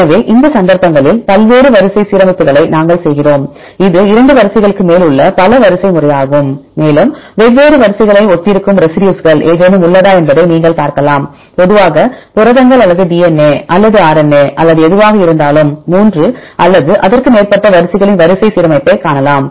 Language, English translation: Tamil, So, in this cases, we do the multiple sequence alignment right the name itself tells this is a multiple sequence we have more than 2 sequences together and you can see whether there is any residues which are similar in different sequences; see the sequence alignment of 3 or more sequences right generally proteins or DNA or RNA or whatever